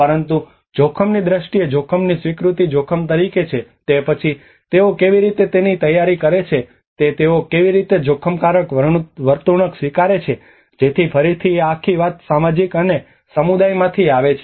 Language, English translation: Gujarati, But there is also the risk perception, risk acceptance as risk to whom then how do they prepare for it how do they accept it risk behaviour so this is again this whole thing comes from the social and community